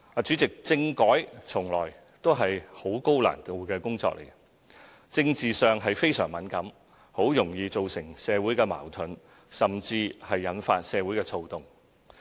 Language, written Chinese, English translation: Cantonese, 主席，政改從來也是十分高難度的工作，政治上非常敏感，十分容易造成社會矛盾，甚至引發社會躁動。, President constitutional reform has always been a tall task . Highly sensitive on the political front it may easily cause social conflicts and even lead to social unrest